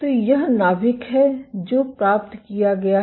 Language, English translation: Hindi, So, this is the nucleus which is fetched